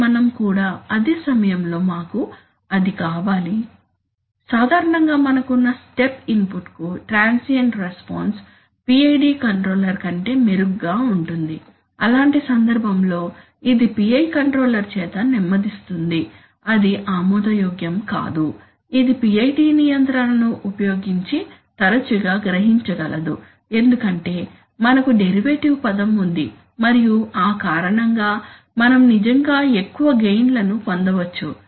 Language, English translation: Telugu, But we also at the same time, we want that, that my transient response typically to a step input is better than the PID controller, so in such a case this slow down by the PI controller which is unacceptable that can often be realized using a PID control because of the fact that you have a derivative term and because of that you can actually have larger gains